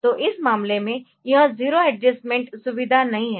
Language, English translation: Hindi, So, in this case this 0 adjustment facility is not there